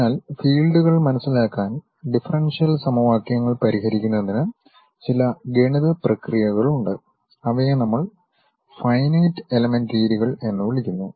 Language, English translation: Malayalam, So, there are certain mathematical processes to solve differential equations to understand the fields, which we call finite element methods